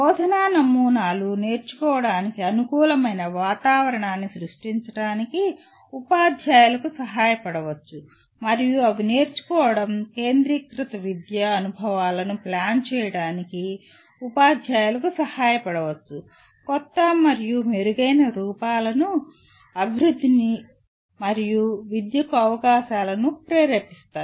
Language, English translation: Telugu, Teaching models may help teachers to create conducive environment for learning and they may help teachers to plan learning centered educational experiences, may stimulate development of new and better forms and opportunities for education